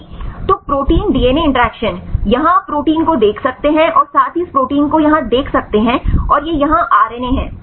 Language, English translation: Hindi, So, protein DNA interactions, here you can see the protein as well as see this protein here and this is RNA here